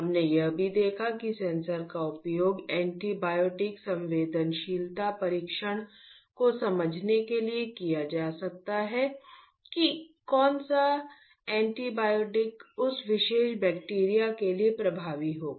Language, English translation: Hindi, We have also seen that the sensors can be used to understand antibiotic susceptibility testing which antibiotic would be effective to that particular bacteria